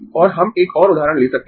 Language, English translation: Hindi, so i am going to show an example